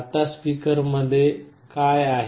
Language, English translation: Marathi, Now, what is there inside a speaker